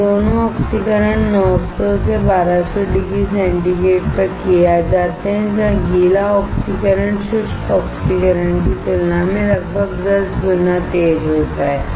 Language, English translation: Hindi, Both of these oxidations are done at 900 to 1200 degree centigrade, where wet oxidation is about 10 times faster than dry oxidation